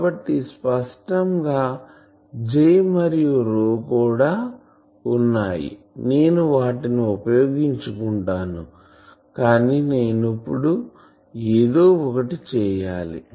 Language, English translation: Telugu, So; obviously, there are J and rho also I will make use of them, but I need to now do something